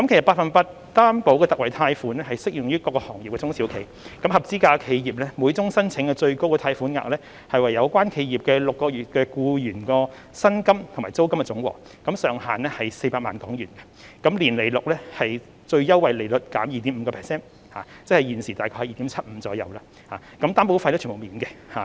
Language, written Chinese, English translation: Cantonese, 百分百擔保特惠貸款適用於各個行業的中小企，合資格企業的每宗申請最高貸款額為有關企業的6個月僱員薪金和租金總和，上限是400萬港元，年利率是最優惠利率減 2.5%， 即現時大約是 2.75%， 擔保費用全免。, The Special 100 % Loan Guarantee is applicable to SMEs in different sectors and industries . The maximum amount of the loan for an eligible SME is the total amount of employee wages and rents for six months with a cap of HK4 million . An interest rate of the Prime Rate minus 2.5 % per annum will be charged